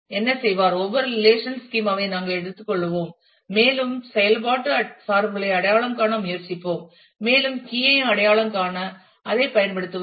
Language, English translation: Tamil, So, for what will do; we will take every relational schema and we will try to identify the functional dependencies and use that to identify the key